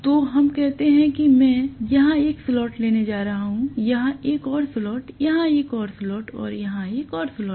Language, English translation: Hindi, So let us say I am going to take one slot here, one more slot here, one more slot here and one more slot here